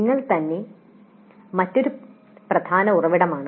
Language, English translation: Malayalam, Then self that is another important source